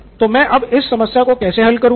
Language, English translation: Hindi, Now how do I solve this problem